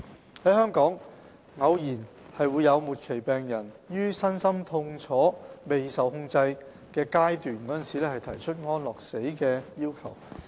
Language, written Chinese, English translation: Cantonese, 在香港，偶有末期病人於身心痛楚未受控制時提出安樂死的要求。, In Hong Kong there may be occasional cases of terminally ill patients requesting euthanasia when their physical and mental pain goes unmanaged